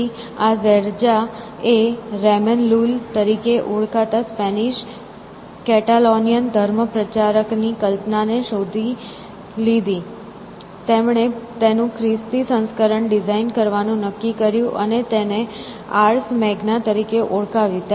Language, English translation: Gujarati, So, this zairja caught the imagination of a Spanish Catalonian missionary called Ramon Lull, and, who decided to design a Christian version of it which he calls as Ars Magna